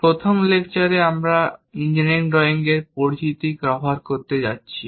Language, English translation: Bengali, In the 1st lecture, we are going to cover introduction to engineering drawing